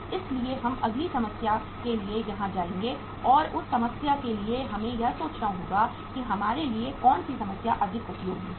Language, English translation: Hindi, So we will move to the next problem here and for that uh in that problem we will have to think that which problem is more useful for us to do